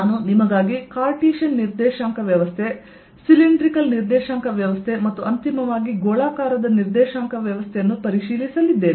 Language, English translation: Kannada, i am going to review for you cartesian coordinate system, i am going to use for review for you the cylindrical coordinate system and finally the spherical coordinate system